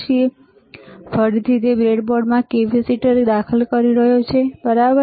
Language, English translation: Gujarati, So, again he is inserting the capacitor in the breadboard, right